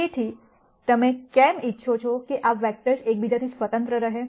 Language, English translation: Gujarati, So, why do you want these vectors to be independent of each other